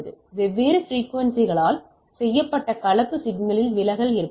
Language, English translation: Tamil, Distortion can occur in composite signal made of different frequencies